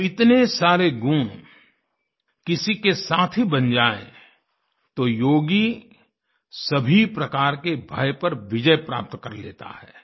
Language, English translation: Hindi, When so many attributes become one's partner, then that yogi conquers all forms of fear